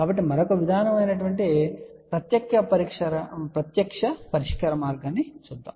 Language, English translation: Telugu, So, let us look at the direct solution which is the another approach